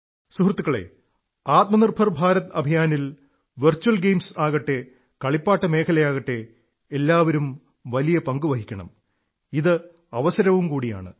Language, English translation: Malayalam, Friends, be it virtual games, be it the sector of toys in the selfreliant India campaign, all have to play very important role, and therein lies an opportunity too